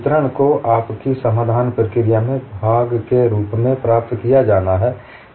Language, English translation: Hindi, The distribution has to be obtained as part of your solution procedure